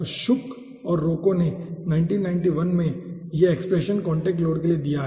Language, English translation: Hindi, so shook and roco in 1991 he has given this expression for contact load